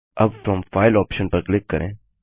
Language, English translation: Hindi, Now click on From File option